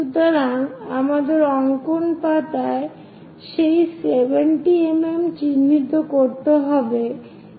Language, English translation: Bengali, So, we have to mark that 70 mm on our drawing sheet